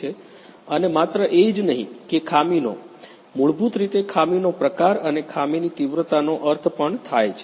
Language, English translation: Gujarati, And also not only that the defects you know we basically mean the type of the defects and also the severity of the defects